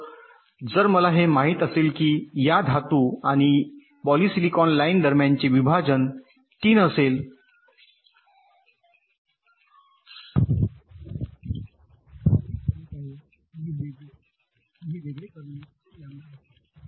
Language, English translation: Marathi, so if i know that the separation between this metal and polysilicon line will be three lambda, then i already know this separation will be three lambda